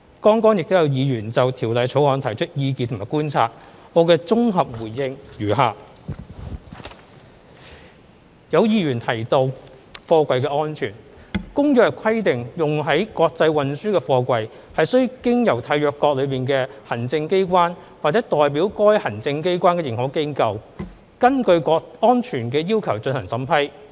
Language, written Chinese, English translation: Cantonese, 剛才亦有議員就《條例草案》提出意見和觀察，我的綜合回應如下：有議員提及貨櫃安全，《公約》規定用於國際運輸的貨櫃須經由締約國的行政機關或代表該行政機關的認可機構根據安全要求進行審批。, Just now Members have put forwards their views and observations about the Bill I shall give a consolidated reply as below Some Members mentioned the safety of freight containers . Under the Convention any container used for international transport must be approved by the executive authorities of a Contracting Party to the Convention or the recognized organizations on behalf of the executive authorities in accordance with the relevant safety requirements